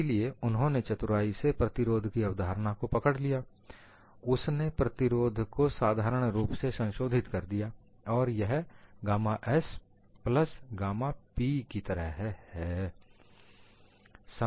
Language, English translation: Hindi, So, he has really tweaked the concept of resistance; a resistance he had simply modified it as gamma s plus gamma p